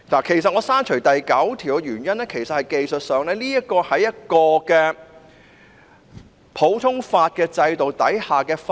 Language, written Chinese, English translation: Cantonese, 其實，我刪除第9條的原因是，技術上，《條例草案》是在普通法制度下的法例。, As a matter of fact my reason for deleting clause 9 is that technically the Bill will become a piece of legislation under the common law system